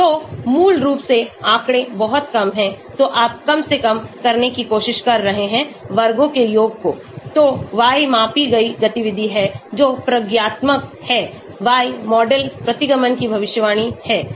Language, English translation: Hindi, So basically little bit of statistics, so you are trying to minimize the sum of squares, so y is the activity as measured that is experimental; y model is the prediction of the regression